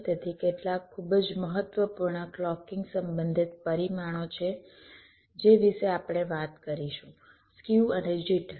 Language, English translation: Gujarati, so there are a few very important clocking related parameters that we shall be talking about, namely skew and jitter